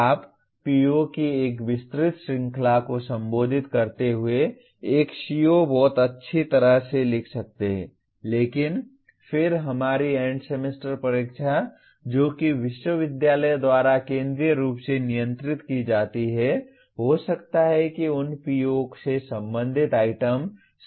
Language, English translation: Hindi, You may write a CO very well addressing a wide range of POs but then our End Semester Examination which is centrally controlled by the university may not want to, may not include items related to those POs